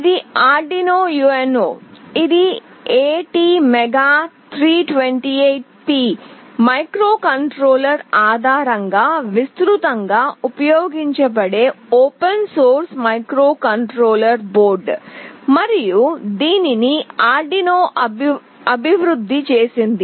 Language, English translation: Telugu, This is the Arduino UNO, which is widely used open source microcontroller board, based on ATmega328P microcontroller and is developed by Arduino